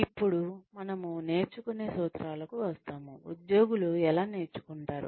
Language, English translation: Telugu, Then, we come to the principles of learning, how do employees learn